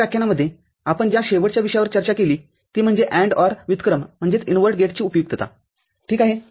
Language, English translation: Marathi, So, the last topic that we discuss in this lecture is the usefulness of AND OR invert gate ok